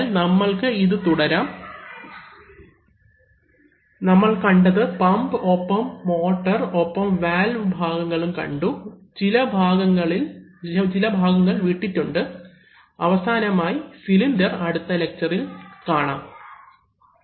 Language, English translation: Malayalam, So, we will continue with this we have seen pumps and motors and we have seen part of the Valve’s, some bits are left and finally we will see the cylinders in the next lecture